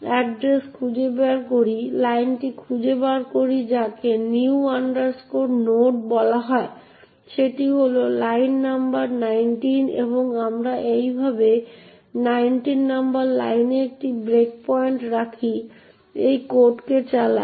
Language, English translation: Bengali, c code, find out the address, find out the line new node is call that is line number 19 and we put a breakpoint at line number nineteen like this and run the code using R